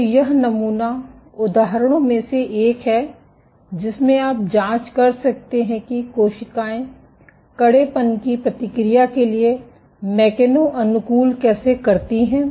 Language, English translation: Hindi, So, this is one of the sample examples in which you can probe how cells machano adapt in response to substrate stiffness